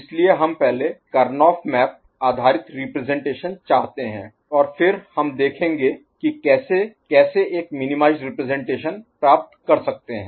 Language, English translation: Hindi, So, we would like to have a Karnaugh map based representation first and then we shall see how to how to get a minimized representation right